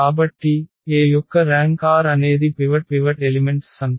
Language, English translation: Telugu, So, the rank of A is r that is the number of the of the pivot elements